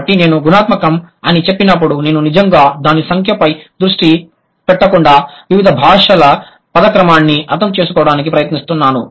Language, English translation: Telugu, So, when I say qualitatively, I'm trying to understand just the word order of different languages without really focusing on the number